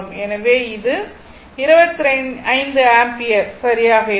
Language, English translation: Tamil, So, it will be 2 ampere